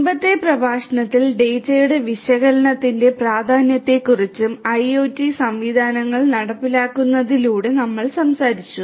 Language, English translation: Malayalam, In the previous lecture we talked about the importance of analysis of the data that are collected through these implementation of IIoT systems